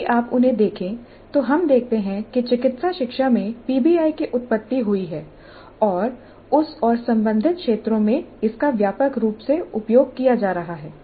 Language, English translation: Hindi, So if you look at them we see that PBI has its origin in medical education and it continues to be used quite extensively in that and related fields